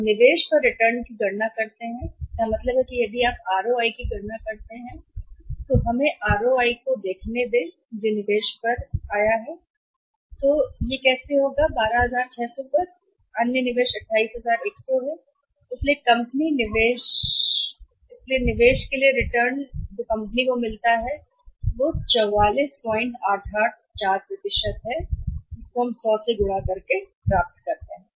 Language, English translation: Hindi, Now let us calculate the return on investment so it means if you calculate the ROI let us see the ROI that is return on investment that will be how much after profit is 12600 and other investment is 28100 so the return on investment for the company is how much if you calculate this, this works out as 44